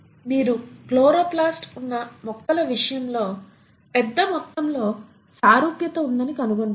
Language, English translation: Telugu, In case of plants you have the chloroplast, you find there is a huge amount of similarity